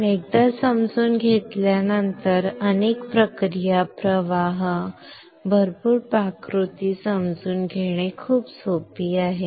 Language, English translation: Marathi, But once you understand it is very easy to understand a lot of process flows, lot of recipes, alright